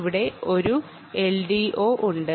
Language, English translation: Malayalam, there is an l d o here